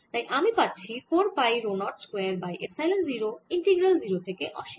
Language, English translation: Bengali, so i get four pi rho zero, square over epsilon, zero, integral zero to infinity